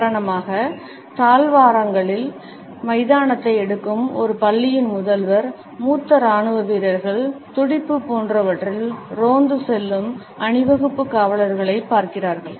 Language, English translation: Tamil, For example, the principal of a school taking grounds in the corridors, senior military personnel, looking at the parade policemen patrolling the beat etcetera